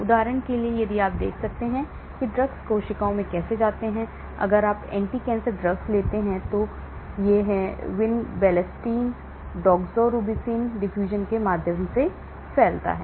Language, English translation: Hindi, For example, if you look at how drugs get into cells; one is the diffusion like if you take anti cancer drugs this is through vinblastine, doxorubicin diffusion